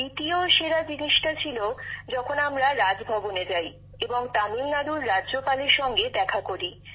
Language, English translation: Bengali, Plus the second best thing was when we went to Raj Bhavan and met the Governor of Tamil Nadu